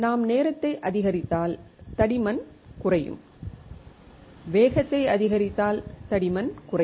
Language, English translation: Tamil, If we increase the time the thickness will decrease and if we increase the speed the thickness will decrease